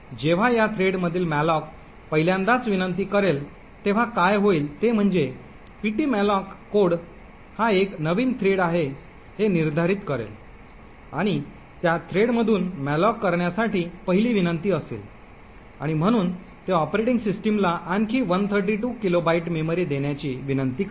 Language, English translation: Marathi, When the malloc from this thread gets invoked for the 1st time what would happen is that the ptmalloc code would determining that this is a new thread and is the 1st invocation to malloc from that thread and therefore it will request the operating system to issue another 132 kilobytes of memory